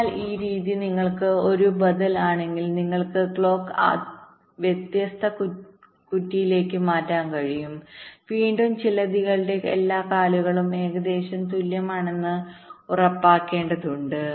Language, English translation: Malayalam, so, although this method is is an alternative where you can layout the clock to different pins and means, and again, another point, to balance skew, you have to ensure that all the legs of the spiders are approximately equal